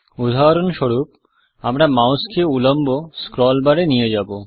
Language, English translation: Bengali, To illustrate this, let me take the mouse to the vertical scroll bar